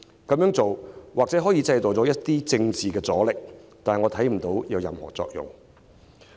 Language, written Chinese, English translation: Cantonese, 這樣做或許可以製造一些政治阻力，但我卻看不到有任何作用。, Doing so may perhaps create some political resistance but I do not see it achieving any effect